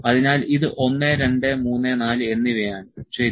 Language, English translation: Malayalam, So, this is 1, 2, 3 and 4, ok